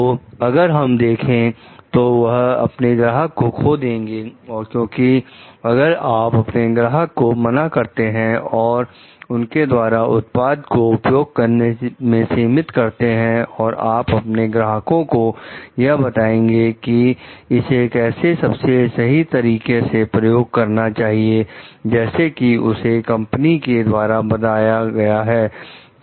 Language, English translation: Hindi, So, if we see like this may lead to maybe customer loss also because, if you are saying no to your customers and if you are restricting their use of the products and if you are telling your customers to use it in the most appropriate way, as it is told by the company